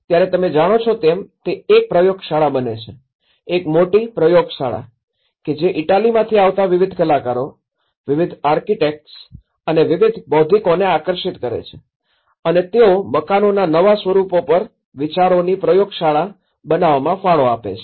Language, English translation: Gujarati, It becomes a laboratory you know, a big laboratory, attracting various artists, various architects and various intellectuals coming from all over the Italy to contribute to make a laboratory of ideas on new forms of building